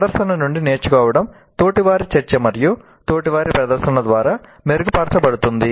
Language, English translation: Telugu, And learning from demonstration is enhanced by peer discussion and peer demonstration